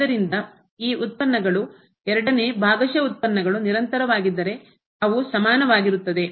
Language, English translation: Kannada, So, if these derivatives are continuous second order partial derivatives are continuous then they will be equal